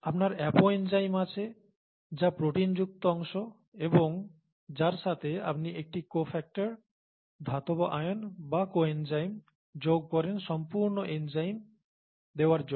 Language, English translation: Bengali, You have an apo enzyme which is the proteinaceous part and to which you add a cofactor, metal ions or coenzymes as they are called to give the whole enzyme, okay